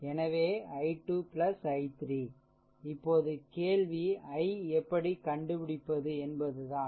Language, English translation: Tamil, So, is equal to i 2 plus i 3, right, now question is how to find out i q